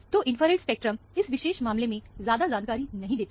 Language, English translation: Hindi, So, the infrared spectrum is not very informative, in this particular case